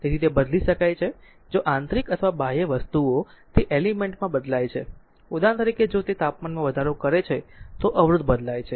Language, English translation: Gujarati, So, that it can be change if you internal or external things are that element altered; for example, if it a temperature increases so, resistance change right =